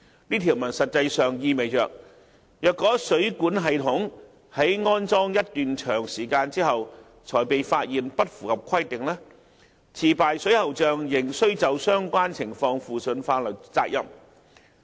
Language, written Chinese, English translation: Cantonese, 這條文實際上意味着，若水管系統在安裝一段長時間後才被發現不符合規定，持牌水喉匠仍須就相關情況負上法律責任。, In effect such a provision means that a licensed plumber is still liable for a non - compliance of a plumbing system that is discovered a long time after the installation of the plumbing system concerned